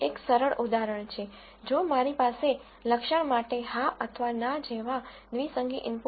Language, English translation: Gujarati, One simple example is if I have a binary input like a yes or no for a feature